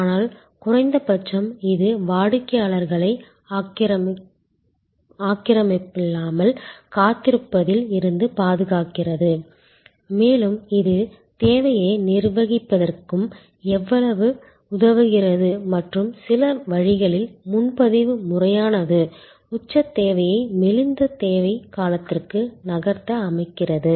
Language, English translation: Tamil, But, at least it safe customers from waiting an unoccupied and it also help us to manage the demand and in some way the reservations system allows us to move peak demand to a lean demand period